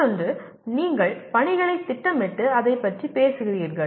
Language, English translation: Tamil, The other one is one is you are planning the tasks and going about it